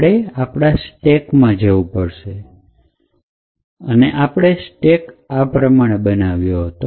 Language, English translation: Gujarati, So, we go back to our stack and we build a stack as follows